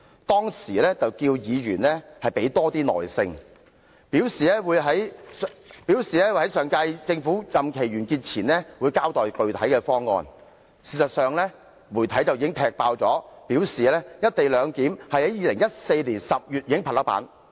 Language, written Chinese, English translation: Cantonese, 當時，他要求議員要有多些耐性，並表示會在上屆政府任期完結前交待具體方案，但事實上，媒體已踢爆，"一地兩檢"方案已在2014年10月拍板。, Back then he asked Members to exercise more patience with the issue while reassuring them that he would give an account of specific details of the co - location arrangement before the previous term of Government came to an end . Yet as revealed by media reports the co - location arrangement in question had already been decided in October 2014